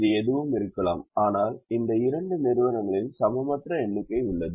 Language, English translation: Tamil, it could be anything, but there unequal number of these two entities